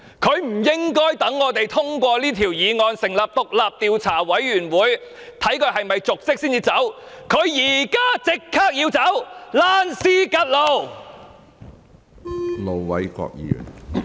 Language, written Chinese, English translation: Cantonese, 她不應該待我們通過此項議案，成立獨立調查委員會調查她有否瀆職才下台，她現在就立即要下台，"躝屍趌路"。, She should not wait until we have passed this motion to form an independent commission of inquiry to investigate whether she has committed dereliction of duty and then step down . She should step down right away . Get lost!